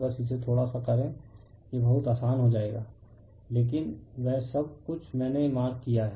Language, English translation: Hindi, Just justdo it little bit yourself you will get it very simple, right, but everything I am marked for you